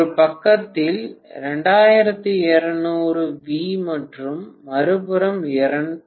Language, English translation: Tamil, So to start with, I am having 2200 V on one side and on the other side, it is 220 V, okay